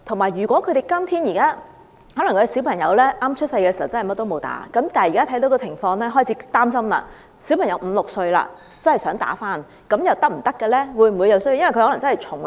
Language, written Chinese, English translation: Cantonese, 如果小朋友出生時沒有注射任何甚麼疫苗，但現在家長看到這個情況後開始擔心，小朋友如果已五六歲，再注射有關疫苗又是否可行呢？, If children have not received any vaccination since their birth and given that the current situation has aroused the concerns of their parents is it still feasible for these children being five or six years old to receive vaccination now?